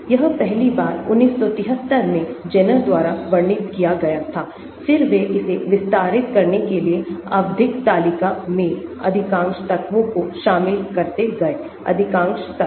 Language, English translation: Hindi, It was first described in 1973 by Zerner, then they went on extending it to include most of the elements in the periodic table; most of the elements